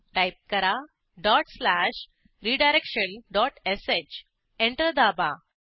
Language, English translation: Marathi, Type dot slash redirection dot sh Press Enter